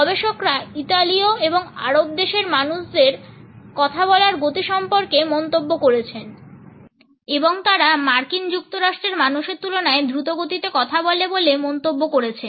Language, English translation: Bengali, Researchers have commented on the speed of Italians and people of the Arab country and they comment that they speak in a faster manner in comparison to people of the US